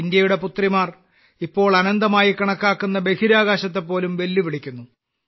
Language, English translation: Malayalam, The daughters of India are now challenging even the Space which is considered infinite